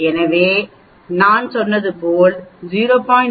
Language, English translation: Tamil, So, as I said two tailed 0